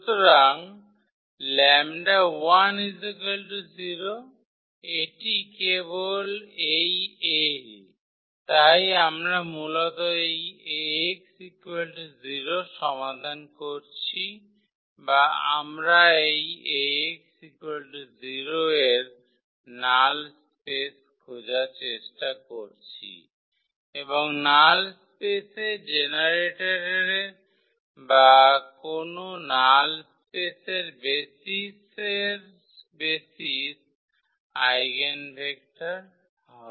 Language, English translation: Bengali, So, the lambda is 0, so this is simply this a so we are solving basically this A x is equal to 0 or we are trying to get the null space of this A x is equal to 0 and the generator of the null space or the basis of the any basis of the null space will be the eigenvector